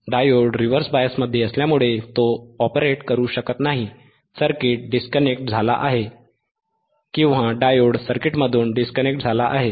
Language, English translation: Marathi, So, as circuit is disconnected right beBecause diode cannot operate becauseas it is in the reverse bias, circuit is disconnected or diode is disconnected from the circuit